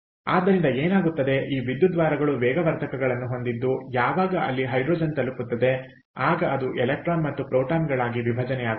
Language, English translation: Kannada, ok, so what happens is this: this electrodes have a is a catalyst where the hydrogen, when it reaches there, it dissociates into electron and proton